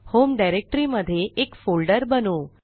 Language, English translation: Marathi, Here, in the home directory i will create a folder